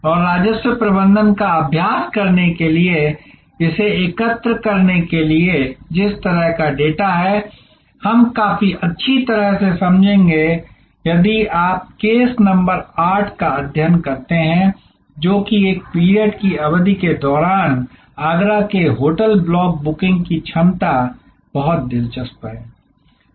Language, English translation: Hindi, And the kind of data that one as to collect to make this to practice revenue management we will understand quite well if you study case number 8, which is the Agra beach hotel block booking of capacity during a peek period very interesting case